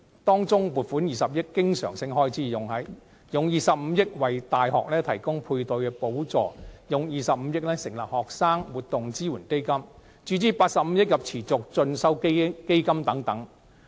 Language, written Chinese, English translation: Cantonese, 當中，撥款20億元經常性開支、用25億元為大學提供配對補助、用25億元成立學生活動支援基金、向持續進修基金注資85億元等。, Out of the estimate 2 billion is recurrent expenditure; 2.5 billion is allocated for providing a Matching Grant Scheme to universities; 2.5 billion is allocated for the establishment of the Student Activities Support Fund; and 8.5 billion is allocated for the Continuing Education Fund